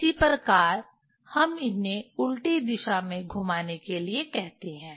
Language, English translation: Hindi, That is how we tell rotate them in opposite direction